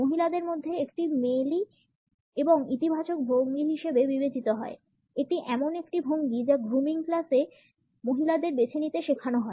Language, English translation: Bengali, Amongst women it is considered to be a feminine and positive posture; this is a posture which women in the grooming classes are taught to opt for